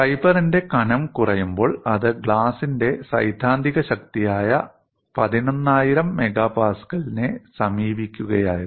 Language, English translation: Malayalam, When the thickness of the fiber is reduced, it was approaching 11000 MPa that is a theoretical strength of glass